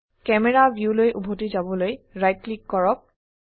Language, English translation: Assamese, Right click to to go back to camera view